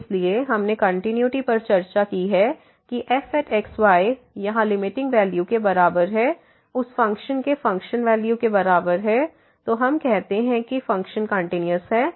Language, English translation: Hindi, So, we have discuss the continuity; that is equal to the limiting value here is equal to the function value of the of that function, then we call that the function is continuous